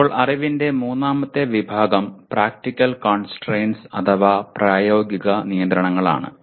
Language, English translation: Malayalam, Now, the third category of knowledge is Practical Constraints